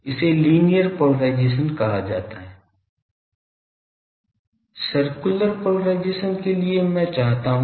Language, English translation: Hindi, This is called linear polarisation For circular polarisation; what I demand